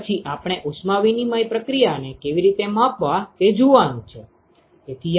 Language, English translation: Gujarati, Then we are going to look at how to quantify the heat exchange process